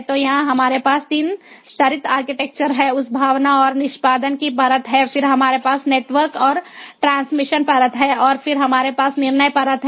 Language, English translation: Hindi, there is that sense and execution layer, then we have the network and transmission layer and then we have the decision layer